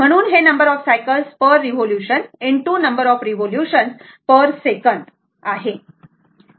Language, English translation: Marathi, So, you can write number of cycles per revolution into number of revolution per second